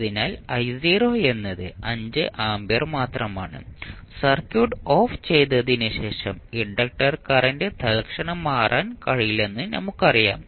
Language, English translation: Malayalam, So, I naught is nothing but 5 ampere and now we know that the inductor current cannot change instantaneously so even after switching off the circuit